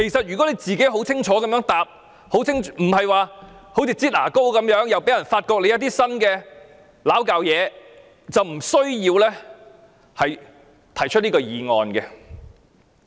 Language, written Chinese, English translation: Cantonese, 如果鄭司長肯清楚回答，而不是"擠牙膏"般，之後又被人揭發一些新問題，這項議案是不需要提出的。, If Secretary for Justice Teresa CHENG is willing to answer clearly but not in a manner of squeezing a tube of toothpaste with new issues revealed afterwards this motion needs not be moved